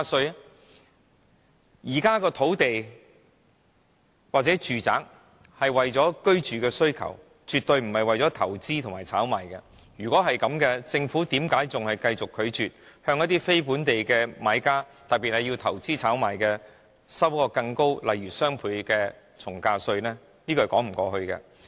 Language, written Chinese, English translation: Cantonese, 如果說現在的土地或住宅是為了滿足市民的住屋需求，絕對不是為了投資和炒賣，那為甚麼政府繼續拒絕向非本地的買家，特別是進行投資炒賣的人，徵收更高的稅項，例如雙倍從價稅？, If the present land and housing policies aim at satisfying the housing needs of local people and the properties developed are not for investment and speculation purposes why does the Government keeps refusing to levy a higher tax such as a double ad valorem stamp duty on non - local buyers in particular those who engage in investment and speculation activities?